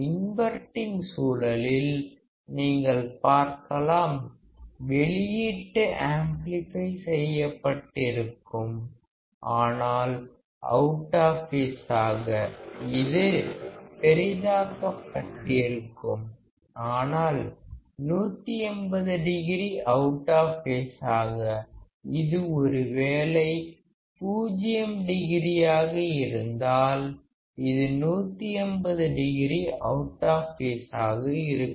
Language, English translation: Tamil, in the case of inverting; you will see that the output would be amplified, but out of phase; it will be magnified, but generally 180 degree out of phase; if this is 0 degree, it is 180 degree out of phase